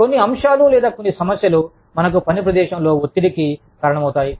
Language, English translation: Telugu, Some aspects, or some problems, that workplace stress, can cause us